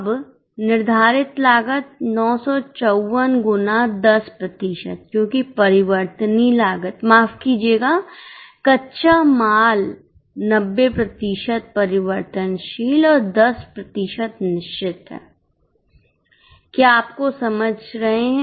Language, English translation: Hindi, Now fixed cost, 954 into 10% because variable cost, sorry, raw material is 90% variable and 10% fixed